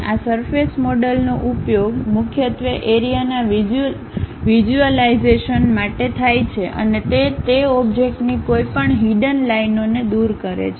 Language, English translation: Gujarati, This surface models are mainly used for visualization of the fields and they remove any hidden lines of that object